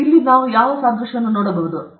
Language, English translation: Kannada, Can we look at analogy